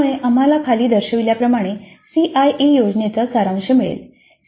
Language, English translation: Marathi, So that leads us to a summary of the CIA plan as shown below